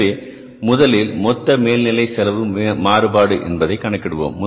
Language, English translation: Tamil, So we will first calculate the total overhead cost variance